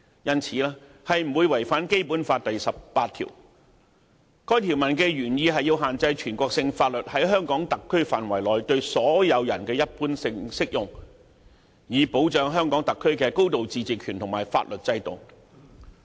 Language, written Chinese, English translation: Cantonese, 因此，《合作安排》不會違反《基本法》第十八條，該條文的原意是限制全國性法律在香港特區範圍內對所有人一般性適用，以保障香港特區的高度自治權和法律制度。, Hence the Co - operation Arrangement does not contravene Article 18 of the Basic Law which intent is to restrict the general application of national laws on all persons within the HKSAR in order to safeguard the high degree of autonomy and the legal system of the HKSAR